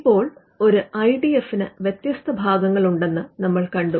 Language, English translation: Malayalam, Now, we had seen that an IDF has different parts